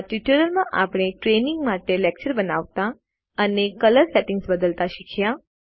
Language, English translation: Gujarati, In this tutorial we learnt to create a lecture for training and modify colour settings